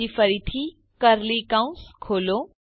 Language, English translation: Gujarati, Then once again, open curly bracket